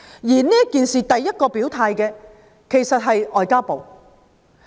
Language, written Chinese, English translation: Cantonese, 就今次事件，首先表態的其實是外交部。, Actually the first body to declare its stance on this incident was MFA